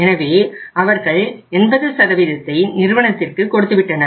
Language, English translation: Tamil, So they have given 80% to the firm but 20%